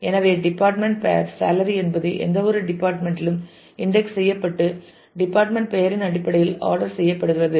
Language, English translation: Tamil, So, department name salary means that either department it is it is ordered to indexes are ordered in terms of just the department name